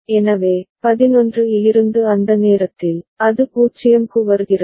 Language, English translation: Tamil, So, at the time from 11, it comes to 0